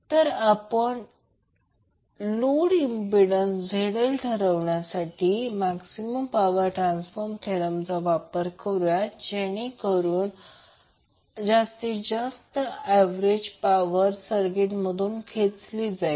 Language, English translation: Marathi, So, now we will use the maximum power transfer concept to determine the load impedance ZL that maximizes the average power drawn from the circuit